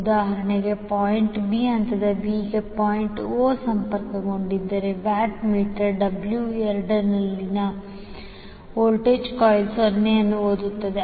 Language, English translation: Kannada, So for example, if point o is connected to the phase b that is point b, the voltage coil in the watt meter W 2 will read 0